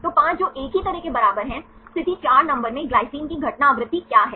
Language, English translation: Hindi, So, 5 that is equal to one likewise, what is the occurrence frequency of glycine in position number 4